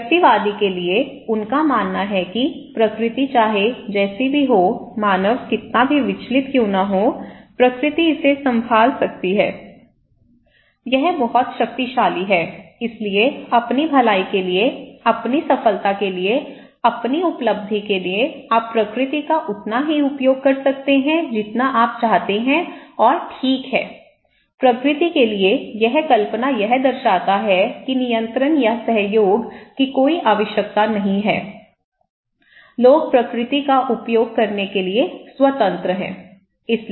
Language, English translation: Hindi, For the individualist, they believe that nature is like no matter how much human disturb it, it will; they can handle it, nature can handle it, it is super powerful, so for your own well being, for your own achievement for your own success, you can utilize the nature as much as you wish and okay, this myth of nature shows that there is no need for control or cooperations, people are free to use the nature